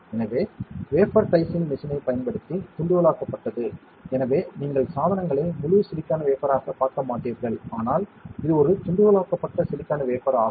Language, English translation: Tamil, So, diced using wafer dicing machine, so that way because you will not be seeing the devices in a full silicon wafer, but it is a diced silicon wafer